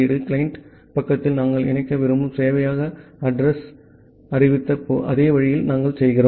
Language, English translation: Tamil, At the client side, we do in the same way we declared the address the server address where we want to connect